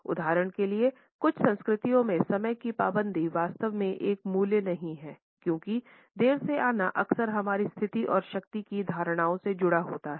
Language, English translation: Hindi, In certain cultures for example, punctuality is not exactly a value because late coming is often associated with our status and perceptions of power